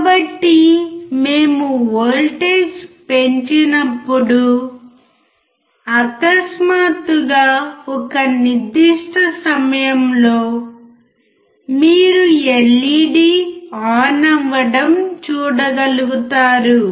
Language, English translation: Telugu, So, as we increase the voltage, suddenly at a certain point you should be able to see the LED working